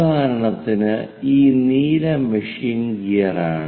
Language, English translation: Malayalam, For example, this blue one is the machine gear